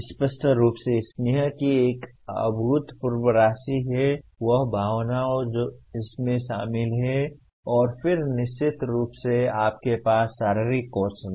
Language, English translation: Hindi, There is obviously a phenomenal amount of affective, that emotion that is involved and then certainly you have physical skills